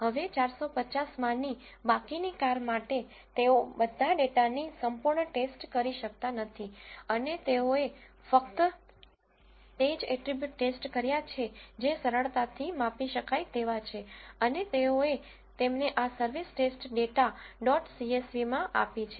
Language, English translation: Gujarati, Now, for the rest of the cars among the 450, they cannot thoroughly check all the data and they have checked only those attributes which are easily measurable and they have given them in this service test data dot csv